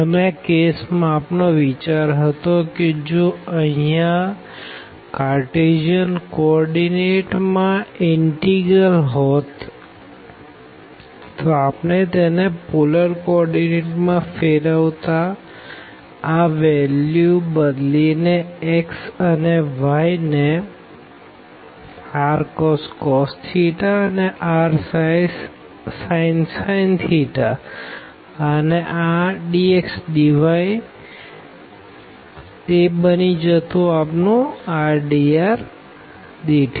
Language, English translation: Gujarati, And in that case the whole idea was that if we have the integral here in the Cartesian coordinate, we can convert into the polar coordinate by just substituting this x and y to r cos theta and r sin theta and this dx dy will become the r dr d theta